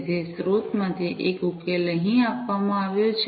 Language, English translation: Gujarati, So, one of the solutions the source is given over here